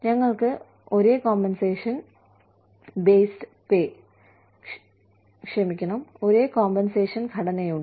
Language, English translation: Malayalam, And we, have the same compensation structure